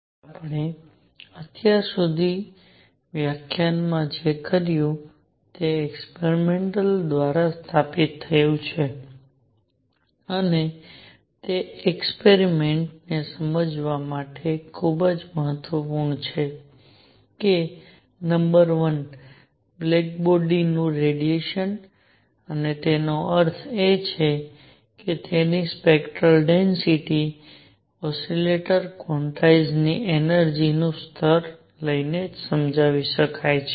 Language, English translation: Gujarati, So, what we have done in the lecture so far is that established through experiments and that is very important to understand experiments that number one: black body radiation and that means its spectral density can be explained by taking the energy levels of an oscillator quantized